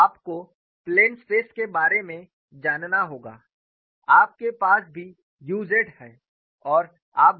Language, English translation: Hindi, So, you have to know for the plane stress, you also have u z